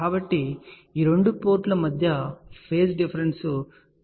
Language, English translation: Telugu, So, between these two ports phase difference will be 90 degree